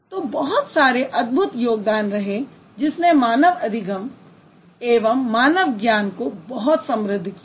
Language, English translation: Hindi, So a lot of wonderful contribution happened to which actually enriched human learning and human knowledge